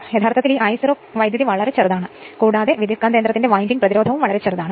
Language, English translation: Malayalam, Actually this I 0 current is very small and in the winding resistance of the transformer is also very small